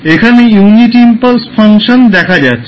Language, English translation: Bengali, So, you will see the unit impulse function here